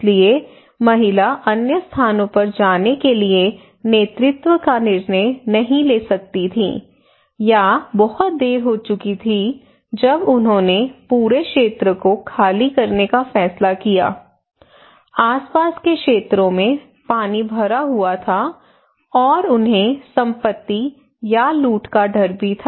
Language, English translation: Hindi, So the woman cannot take the leadership decision to go to other places or it was sometimes too late when they decided to evacuate entire area, surrounding areas were inundated with water, and they have also the loss fear of losing property or looting kind of questions